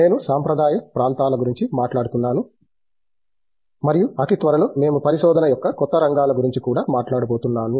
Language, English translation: Telugu, I am talking about the traditional areas and I think very soon we will be talking about the new areas of research also